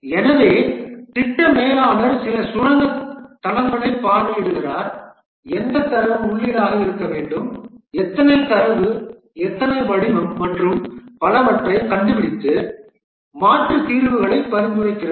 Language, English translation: Tamil, So the project manager visits some mindsites, finds out what data to be input, how many data, what format, and so on, and then suggests alternate solutions